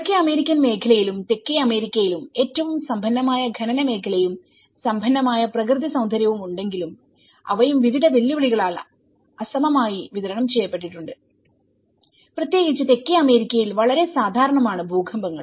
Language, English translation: Malayalam, Within the North American region and in South American though they have the richest mining sector and the richest natural beauty but they also have been unequally distributed with various challenges especially, with the earthquakes which is very common in South American caves